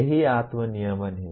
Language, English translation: Hindi, That is what self regulation is